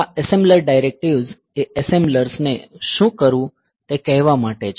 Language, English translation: Gujarati, So, this assembler directives are to for telling assembler what to do